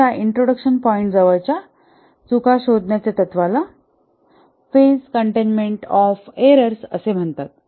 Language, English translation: Marathi, The principle of detecting errors as close to its point of introduction is called as a phase containment of errors